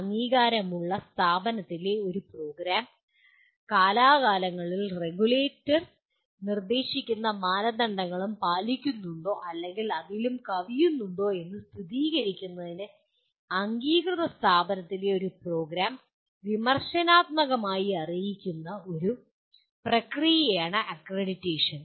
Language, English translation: Malayalam, Accreditation is a process of quality assurance and improvement whereby a program in an approved institution is critically apprised to verify that the institution or the program continues to meet and or exceed the norms and standards prescribed by regulator from time to time